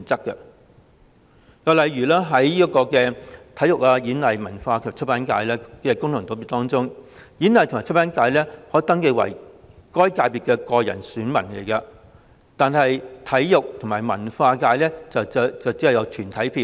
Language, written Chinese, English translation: Cantonese, 又例如，在體育、演藝、文化及出版界功能界別中，演藝和出版界人士可登記為該界別的個人選民，但體育和文化界卻只有團體票。, In the Sports Performing Arts Culture and Publication FC the Performing Arts and Publication subsectors may have individual electors; but the Sports and Culture subsectors only have corporate electors